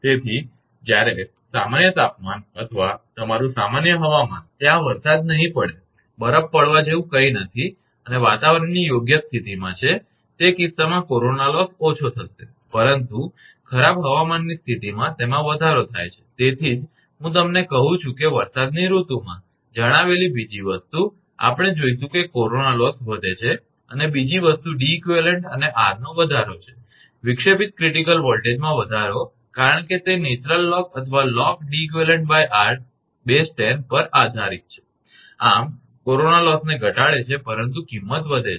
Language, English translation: Gujarati, So, when normal temperature or your normal weather, there will be no rain, no snow fall nothing is there and the in fair weather condition, in that case corona loss will be low, but foul weather condition it increases actually that is why I am telling you during rainy season another thing we will see corona loss increases and other thing is an increase in Deq and r, increase the disruptive critical voltage because it depends on the natural log or log base 10 that is ratio Deq upon r, thus reduces the corona loss, but increases the cost